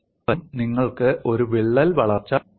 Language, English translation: Malayalam, Another aspect is can you arrest a crack growth